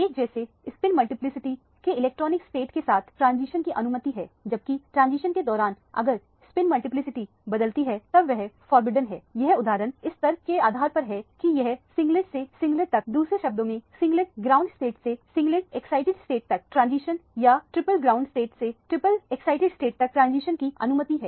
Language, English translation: Hindi, Transition among the electronic states of the same spin multiplicity are allowed, whereas if the spin multiplicity changes during the transition then it is forbidden this is exemplified by the fact that this singlet to singlet, in other words the singlet ground state to a singlet excited state translation or a triplet ground state to the triplet excited state transition are allowed